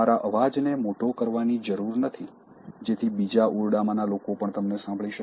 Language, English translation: Gujarati, There is no need to amplify your voice so that people in the next room can also hear you